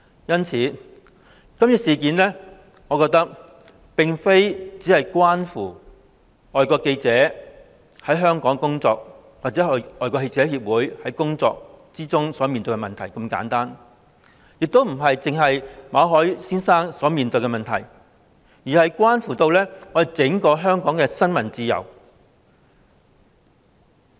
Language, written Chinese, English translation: Cantonese, 因此，我覺得今次事件並非只關乎外國記者會在港的工作或他們在工作中遇到的問題如此簡單，亦不只關乎馬凱先生所面對的問題，而是關乎整個香港的新聞自由。, Thus I think this incident does not simply relate to the work of FCC in Hong Kong or the problems encountered by FCC during its course of work and it does not merely involve the problems faced by Mr MALLET . Instead this incident relates to the freedom of the press in Hong Kong as a whole